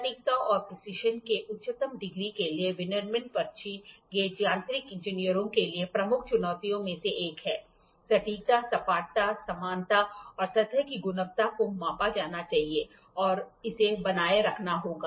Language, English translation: Hindi, Manufacturing slip gauges to the highest degree of accuracy and precision is one of the major challenges for mechanical engineers; the flat accuracy, flatness, parallelism and surface quality has to be measure has to be maintained